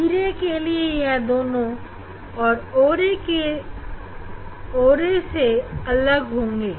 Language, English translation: Hindi, We will not see the separation of the o ray and e ray